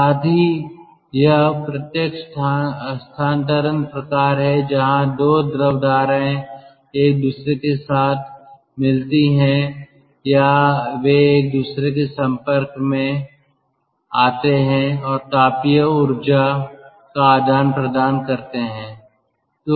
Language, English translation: Hindi, so there is direct transfer type where the two fluid streams mix with each other or they come in contact with each other and transfer the and exchange the thermal energy